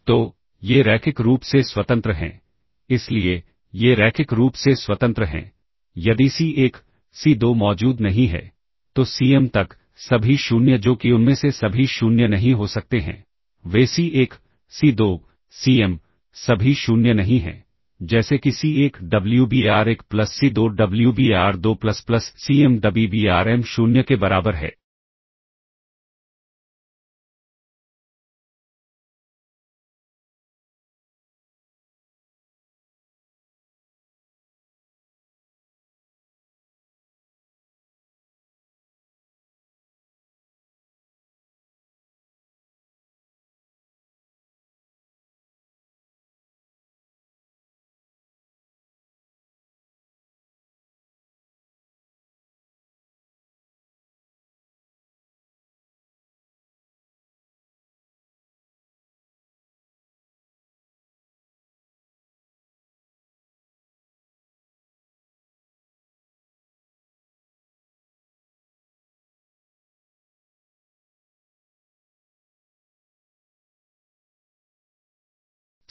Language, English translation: Hindi, So, these are linearly independent, So, these are linearly independent, if there do not exists C1, C2 so on up to Cm, not all 0 that is all of them cannot be 0, they do not exists C1, C2, Cm, not all 0, such that such that C1 Wbar1 plus C2 Wbar2 plus so on plus Cm Wbarm equals 0